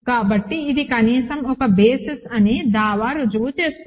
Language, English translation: Telugu, So, it proves a claim at least that it is a basis